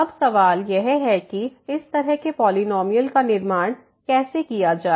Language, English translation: Hindi, So, now the question is how to construct such a polynomial